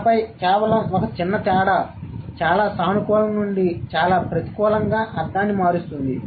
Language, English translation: Telugu, And then just a bit of difference is going to change the meaning from a very positive one to a very negative one